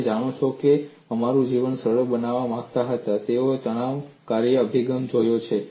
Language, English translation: Gujarati, You know people wanted to make our life simple; they have looked at a stress function approach